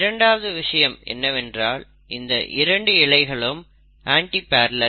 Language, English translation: Tamil, The second thing is that the 2 strands of DNA are antiparallel